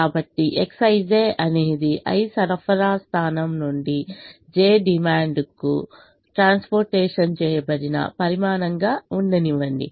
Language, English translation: Telugu, so let x i, j be the quantity transported from supply point i to demand j